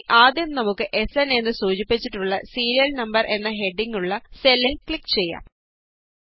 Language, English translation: Malayalam, So let us first click on the cell with the heading Serial Number, denoted by SN